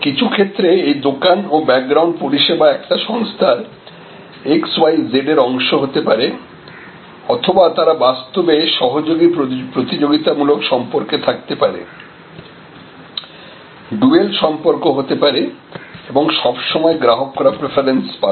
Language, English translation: Bengali, In some cases this store and that a background the service they can be all part of the same organization XYZ or they can actually be even in a collaborative competitive type of relationship do all relationship and the customer getting all the preferences